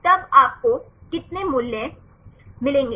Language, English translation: Hindi, So, then what is the value we get